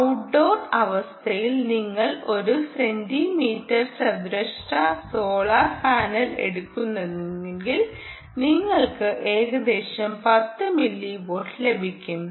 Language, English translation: Malayalam, if you take a one centimeter square solar panel, ah, i think under outdoor condition, you should get about ten milliwatt